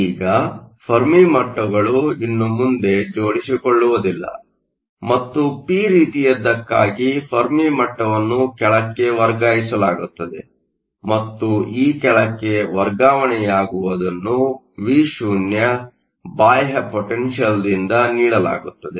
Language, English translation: Kannada, Now, the Fermi levels no longer align and for the p type the Fermi level is shifted down and this shifting down is given by your external potential that is Vo